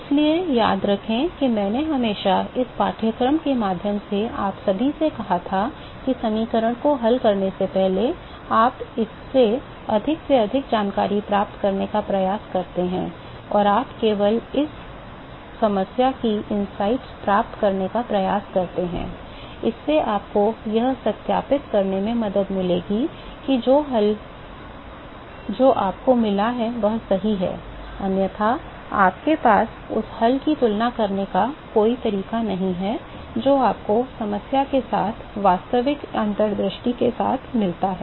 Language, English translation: Hindi, So, remember I always told you all through this course that, before you solve the equation, you try to get maximum information out of this and you attempt to get insights of this problem only, that is going to help you to verify whether the solution that you have got is right, otherwise you have no way to compare the solution that you got with the actual insight with the problem